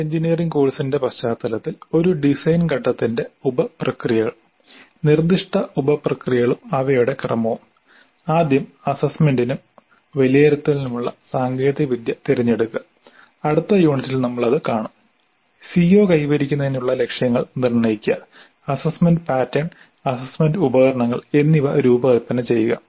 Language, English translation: Malayalam, So the sub processes of a design phase are now that in the context of an engineering course the proposed sub processes and their sequence are first selecting the technology for assessment and evaluation which we will see in the next unit, setting targets for CO attainment, designing the assessment pattern and assessment instruments